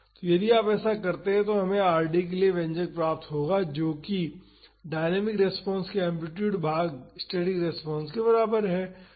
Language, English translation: Hindi, So, if you do that we will get the expression for Rd that would be equal to the amplitude of the dynamic response divided by the static response